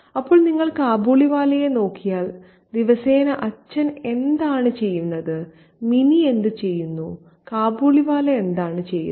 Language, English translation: Malayalam, So, if you look at Kabiliwala, what does the father do, what does Minnie do, what does the Kabiliwala do on a daily basis